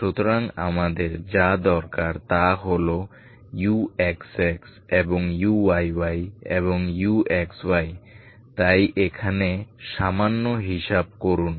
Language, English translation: Bengali, So what we need is all X X, U X X and U Y Y and U X Y so just do little calculations here